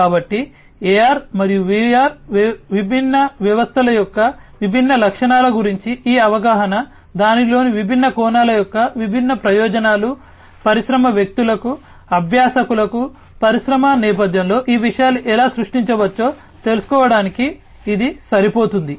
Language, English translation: Telugu, And so, this understanding about the different features of AR and VR systems, the different advantages the different aspects of it, this is sufficient for the industry persons the, you know the learners to know about how these things can be used in an industry setting to create an IIoT platform in their respective industries